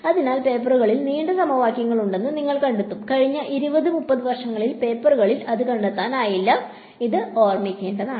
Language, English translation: Malayalam, So, you will find papers were long equations are there, you will not find that in papers in the last say 20 30 years, so that is just something to keep in mind